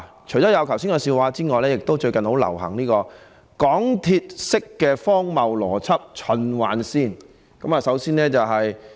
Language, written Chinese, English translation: Cantonese, 除了剛才說的笑話外，最近亦很流行港鐵式的荒謬邏輯——循環線。, Apart from the joke told by me just now of late an absurd MTR - style loop of logic is also gaining popularity